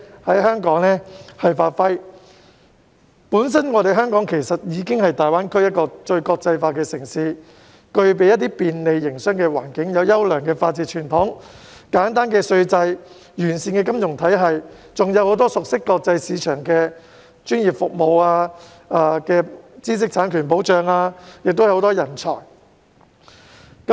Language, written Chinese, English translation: Cantonese, 香港本身已是大灣區內最國際化的城市，不但具備便利的營商環境、優良的法治傳統、簡單稅制和完善的金融體系，而且有很多熟悉國際市場的專業服務、知識產權保障及人才等。, Hong Kong is already the most international city in GBA . It not only has a business - friendly environment a good tradition of the rule of law a simple tax regime and a well - established financial system but also provides a wealth of professional services with extensive knowledge on global markets intellectual property protection and talents